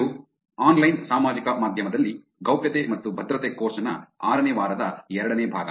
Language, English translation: Kannada, This is Privacy and Security in Online Social Media, week 6 the second part